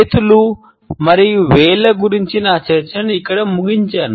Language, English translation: Telugu, I would conclude my discussion of hands and fingers here